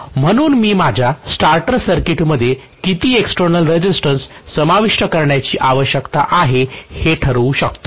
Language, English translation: Marathi, So I can decide how much of external resistance I need to include in my starter circuit